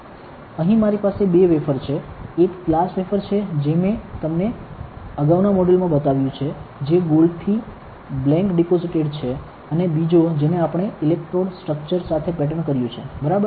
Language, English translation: Gujarati, Here I have two wafers; one is a glass wafer which I have shown you in previous modules which is blank deposited with gold, and another one we have patterned with electrode structure, ok